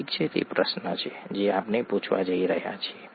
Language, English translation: Gujarati, Okay, that’s the question that we are going to ask